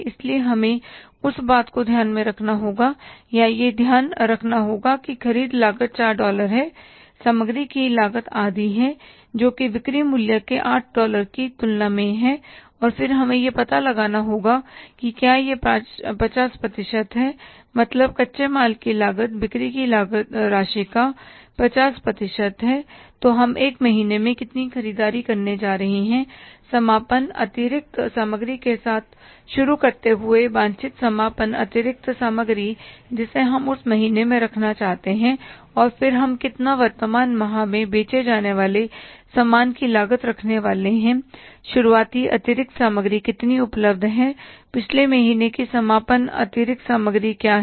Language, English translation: Hindi, And then we have to find out that if it is the 50 percent, means the cost of raw material is 50 percent of the selling price and then we have to find out that if it is the 50% means the cost of raw material is 50% of the sales amount then how much purchases we are going to do in one month starting with the closing inventory desired ending inventory we want to keep in that month and then how much we are going to have the say the the cost of goods sold for the current month how much much is the opening inventory available, which is the closing inventory of the previous month, and then finally we will be able to find out the amount of the purchases for that month